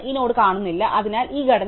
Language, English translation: Malayalam, This node is missing, so this structure is not right